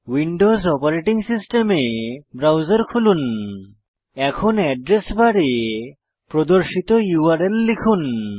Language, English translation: Bengali, Open the browser on Windows Operating System, and in the address bar, type the URL as shown